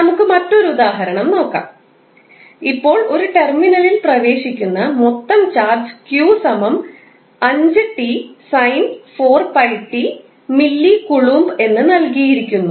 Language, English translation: Malayalam, Now, let us take another example, if the total charge entering a terminal is given by some expression like q is equal to 5t sin 4 pi t millicoulomb